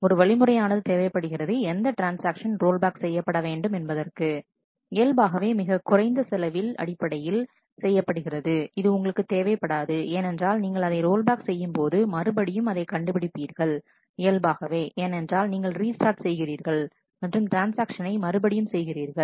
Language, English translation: Tamil, And so there is a there is a strategy required to select which transaction must rollback; naturally that should be done based on the minimum cost that is you do not want because if you roll back then the recomputation naturally because you have to restart and do that transaction again